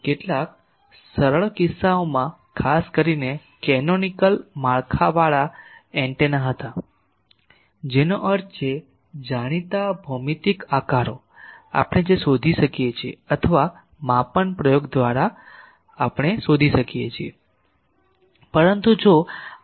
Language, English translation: Gujarati, For some simple cases particularly were antennas with canonical structures that means, well known geometrical shapes we can find J or by measurement experiment we can find